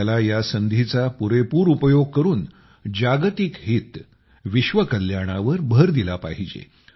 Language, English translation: Marathi, We have to make full use of this opportunity and focus on Global Good, world welfare